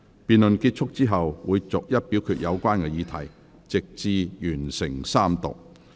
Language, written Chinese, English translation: Cantonese, 辯論結束後，會逐一表決有關議題，直至完成三讀。, After the conclusion of the debate the relevant questions will be put to vote seriatim until Third Reading is completed